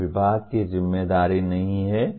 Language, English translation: Hindi, They are not the responsibility of the department